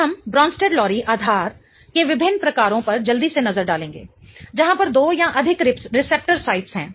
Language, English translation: Hindi, Now we are going to just have a quick look at different types of Bronstrad lorry bases wherein there are two or more receptor sites